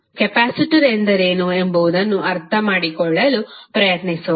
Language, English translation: Kannada, Let us try to understand what is capacitor